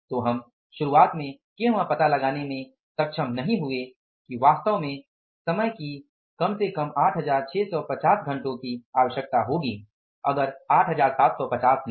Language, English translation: Hindi, We were not able to find out in the beginning that the time actually will require not 875 but at least 8650